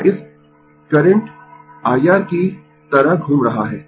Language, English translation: Hindi, This is moving like this current is I R